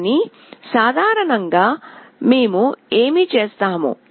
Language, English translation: Telugu, But in general case, what we will be doing